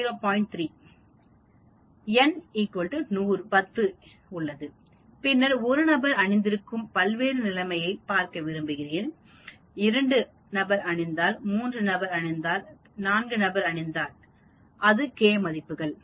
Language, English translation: Tamil, 3 and then you have n is equal to 10 and then you want to look at various conditions of 1 person wearing, 2 person wearing, 3 person wearing, 4 person wearing glasses, that will be the k values